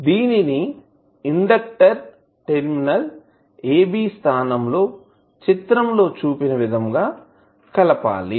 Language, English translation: Telugu, At the inductor terminal AB which is shown in the next slide